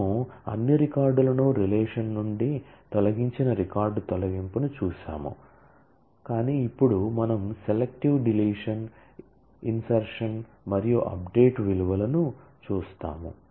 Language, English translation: Telugu, We saw a delete of record which removed all records from a relation, but now we will see selective deletion insertion and update of values